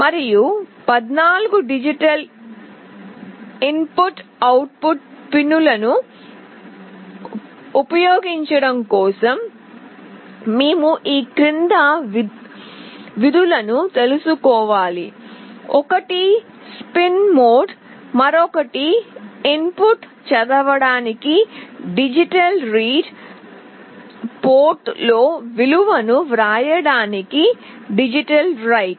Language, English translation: Telugu, And for using the 14 digital input output pins, we need to know the following functions: one is spin mode, another is digital read for reading the input, digital write to write the value into the port